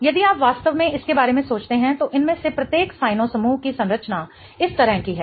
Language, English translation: Hindi, If you really think about it, each one of these cyanogrups is has the structure like this